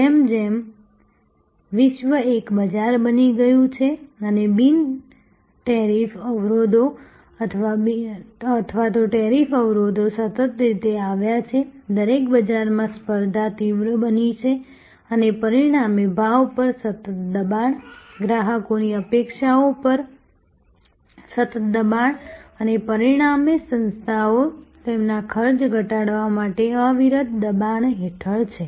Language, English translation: Gujarati, As the world has become one market and the non tariff barriers or even tariff barriers have continuously come down, competition in every market place has intensified and as a result there is a continuous pressure on prices, continuous pressure on customers expectation and as a result the organizations are under relentless pressure to reduce their costs